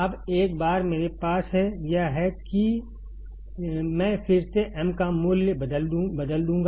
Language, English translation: Hindi, Now, once I have this, I will again substitute value of m